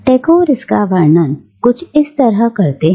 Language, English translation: Hindi, That is how Tagore describes it